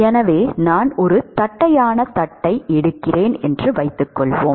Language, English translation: Tamil, So, suppose I take a flat plate, ok